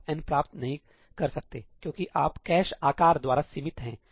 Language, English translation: Hindi, You cannot achieve n, because you are limited by the cache size